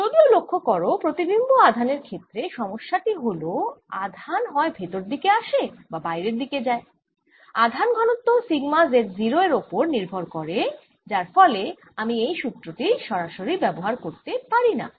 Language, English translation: Bengali, however, notice, in this case, the image charge problem: as charge comes in or goes out, the charge density sigma depends on z zero and therefore i cannot use this formula directly